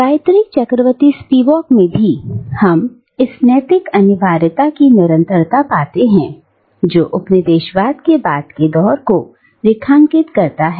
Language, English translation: Hindi, And, in Gayatri Chakravorty Spivak too, we find a continuation of this ethical imperative that underlines post colonialism